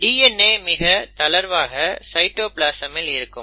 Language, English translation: Tamil, So this is like in the cytoplasm